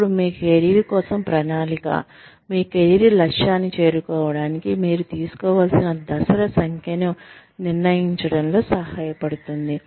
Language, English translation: Telugu, Now, planning for your careers, helps you decide, the number of steps, you need to take, to reach your career objective